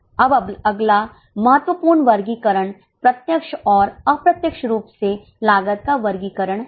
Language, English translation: Hindi, Now next important classification is cost classification by direct and indirect